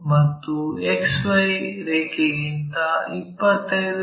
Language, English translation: Kannada, And, in below XY line it is 25 mm here